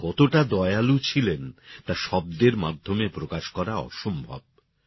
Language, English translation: Bengali, The magnitude of her kindness cannot be summed up in words